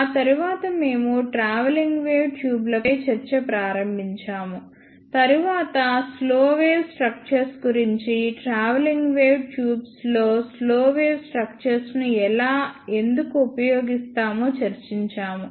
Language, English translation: Telugu, After that we started discussion on travelling wave tubes, then we discussed about slow wave structures, and how and why we use slow wave structures in travelling wave tubes